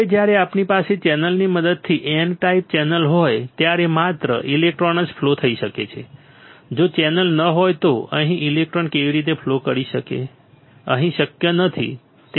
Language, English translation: Gujarati, Now when we have N type channel with the help of channel only the electrons can flow, if there is no channel how can electron flow from here to here not possible right not possible there is no channel right